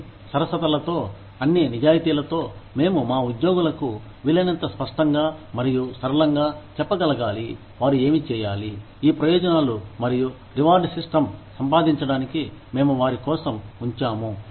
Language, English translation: Telugu, In all fairness, in all honesty, we need to be, able to tell our employees, in as clear and simple terms, as possible, what they need to do, in order to, earn these benefits and reward systems, that we have put out, for them